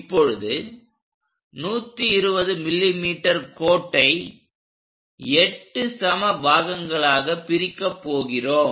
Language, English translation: Tamil, Now, line 120 mm that we are going to divide into 8 equal parts